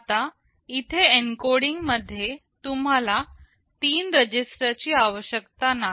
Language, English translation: Marathi, Now, here in the encoding I said you do not need three registers